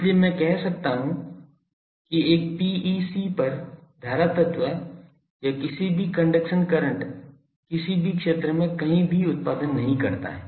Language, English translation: Hindi, So, I can say that current element on or the any conduction current on a PEC does not produce anywhere any field